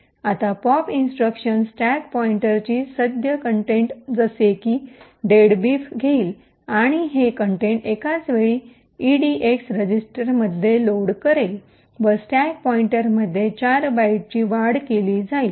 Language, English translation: Marathi, Now the pop instruction would take the current contents of the stack pointer which is deadbeef and load these contents into the edx register simultaneously the stack pointer is incremented by 4 bytes